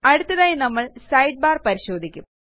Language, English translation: Malayalam, Next we will look at the Sidebar